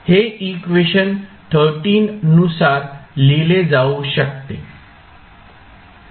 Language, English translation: Marathi, So, what you can write for this equation